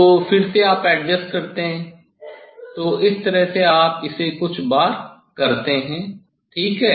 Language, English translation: Hindi, then again you adjust the this two again adjust, so this way you do it few times ok, you do it few times